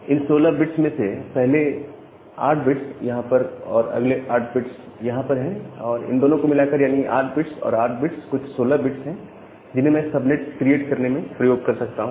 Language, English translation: Hindi, So, I have 8 bits here followed by 8 bits here, this 8 bits plus 8 bit 16 bits I can use to create the subnets